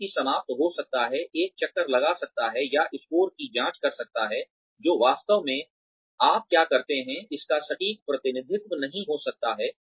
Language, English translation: Hindi, The person may end up, a circling or checking the score, that may not really be an accurate representation of, what you do